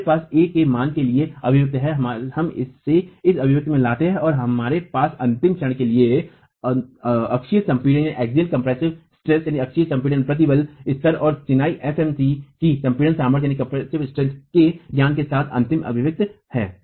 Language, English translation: Hindi, We bring this into this expression and we have a final expression for the ultimate moment with the knowledge of the axial compressive stress level and the compressive strength of masonry FMC